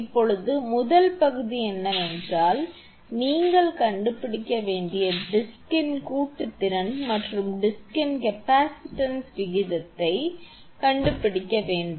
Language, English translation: Tamil, Now, first part is you have to find out the ratio of the capacitance of joint to capacitance of the disc that is K you have to find out